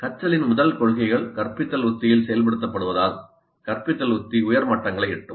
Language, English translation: Tamil, As more of the first principles of learning get implemented in the instructional strategy, the instructional strategy will reach higher levels